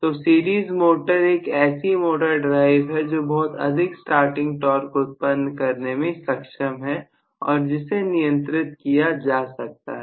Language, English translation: Hindi, So, series motor is one motor drive, which can really generate a very very large starting torque, that too controllable